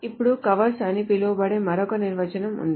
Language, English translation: Telugu, Then there is another definition which is called covers